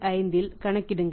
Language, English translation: Tamil, 78 what is a factor here 7885